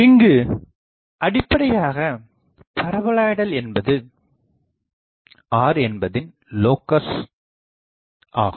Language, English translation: Tamil, So, basically the paraboloid is a locus of this point r ok